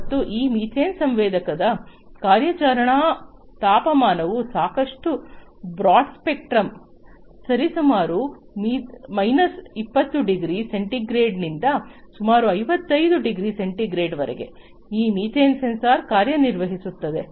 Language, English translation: Kannada, And the operating temperature of this methane sensor is quite broad spectrum; from roughly about minus 20 degrees centigrade to about plus 55 degree centigrade, this methane sensor can work